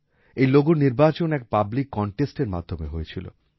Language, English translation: Bengali, This logo was chosen through a public contest